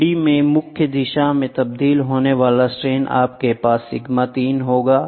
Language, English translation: Hindi, The strain transformed to principal direction in a 3 d you will also have sigma 3